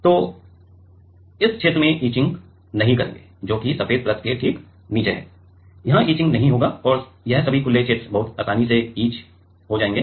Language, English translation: Hindi, So, this regions we will not get etched which is just below the white layer this will not get etched and this all the open areas will get etched very easily